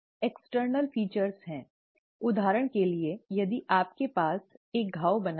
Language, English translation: Hindi, The external features is, for example if you have a wound created